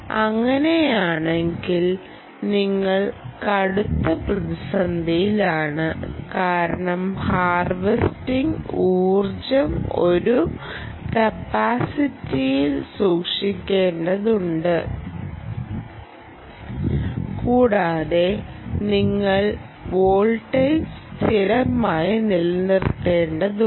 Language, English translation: Malayalam, if so, you are in deep trouble, because the energy that is harvested, has to be stored into a capacitor and you have to maintain the excitation voltage constant, right